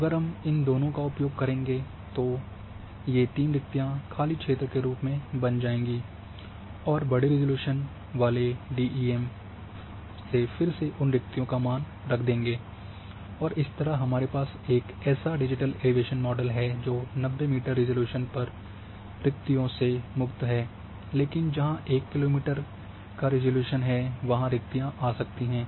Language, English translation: Hindi, So, if you overly both of these create 3 voids as a blank areas and read the values blow from a coarser resolution DEM and then take that value as again this voids then you end up with a digital elevation model which is now void free at 90 meter resolution except the places where the voids might be 1 kilometre resolution